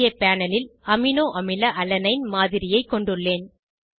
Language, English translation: Tamil, Here I have a model of aminoacid Alanine on the panel